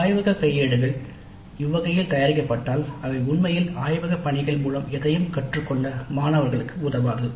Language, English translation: Tamil, So if that is the way the laboratory manuals are prepared, probably they would not really help the students to learn anything in the laboratory work